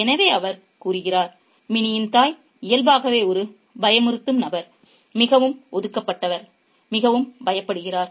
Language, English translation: Tamil, So, he says that Minnie's mother is naturally a timid person, a person who is very reserved, who is very apprehensive